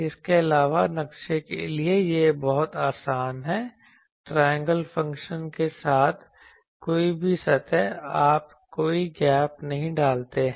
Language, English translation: Hindi, Also it is very easy to map any surface with triangle functions you do not put any gaps etc, ok